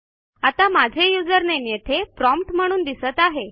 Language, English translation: Marathi, Like we may display our username at the prompt